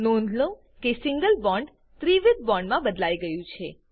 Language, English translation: Gujarati, Observe that Single bond is converted to a triple bond